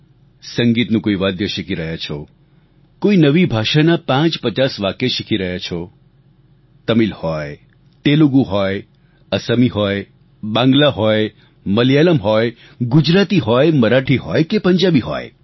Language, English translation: Gujarati, Learn a musical instrument or learn a few sentences of a new language, Tamil, Telugu, Assamese, Bengali, Malayalam, Gujarati, Marathi or Punjabi